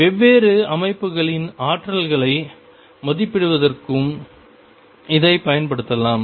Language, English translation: Tamil, We can use it also to estimate energies of different systems